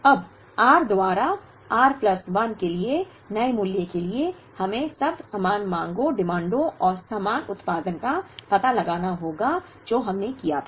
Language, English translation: Hindi, Now, for the new value of r plus 1 by r, we now have to find out the equivalent demands and the equivalent production like what we did